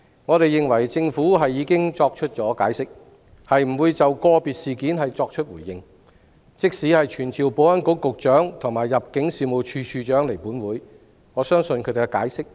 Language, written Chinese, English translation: Cantonese, 我們認為，政府已經作出解釋，不會就個別事件作出回應。即使傳召保安局局長及入境事務處處長到立法會，他們亦會作出相同的解釋。, In our view as the Government has already explained that it would not comment on individual cases even if we summon the Secretary for Security and the Director of Immigration to attend before the Council they will also give the same explanation